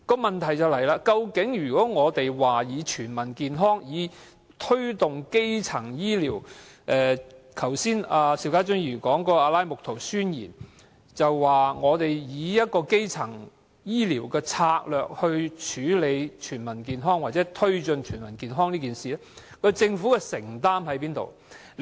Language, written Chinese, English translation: Cantonese, 問題是如果我們要推動基層醫療，以達致全民健康，即邵家臻議員剛才說的《阿拉木圖宣言》，則在以基層醫療策略，處理全民健康或推進全民健康方面，政府的承擔在哪裏？, As Mr SHIU Ka - chun has said the Alma - Ata Declaration has called for the promotion of primary health care to attain the goal of Heath for All . But in respect of the adoption of primary health care strategies to promote the goal of Health for All where is the commitment of the Government?